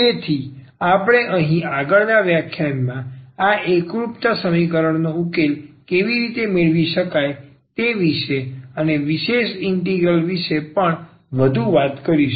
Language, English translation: Gujarati, So, we will be talking about more here how to get the solution of this homogeneous equation in the next lecture and also about the particular integral